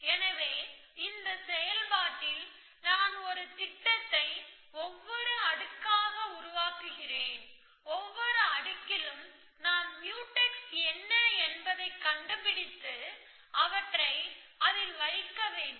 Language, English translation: Tamil, So, in this process, I construct the planning a layer by layer, at every layer I have to find what are the Mutex and put them in